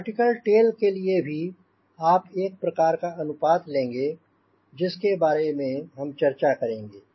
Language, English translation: Hindi, for a vertical tail also, we will have some sort of a ratio which we will discuss